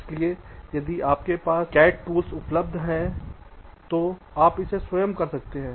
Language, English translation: Hindi, so if you have the cat tool available with you you can do it yourself